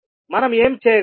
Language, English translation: Telugu, What we can do